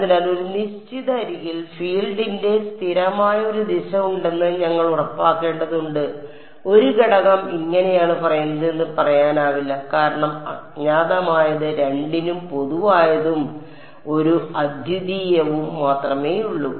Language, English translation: Malayalam, So, we have to make sure that there is a consistent direction of the field along a given edge it cannot be that 1 element is saying this way the other element is saying this way because the unknown U 1 is common to both and there is only a unique direction to the field ok